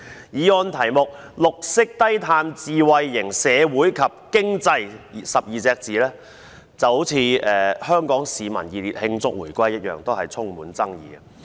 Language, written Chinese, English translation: Cantonese, 議案題目中，"綠色低碳智慧型社會及經濟 "12 個字就像"香港市民熱烈慶祝回歸"一樣充滿爭議。, The words a green and low - carbon smart society and economy in the title of the motion are as controversial as Hong Kong people warmly celebrate the reunification